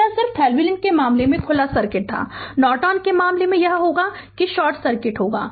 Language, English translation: Hindi, So, that is just a just in the case of Thevenin it was open circuit, in the case of Norton it will be your what you call it will be in the it will be short circuit right